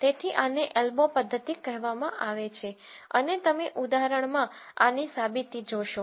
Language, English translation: Gujarati, So, this is called an elbow method and you will see a demonstration of this in an example